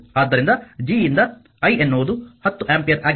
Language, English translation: Kannada, So, i square by G so, i is 10 ampere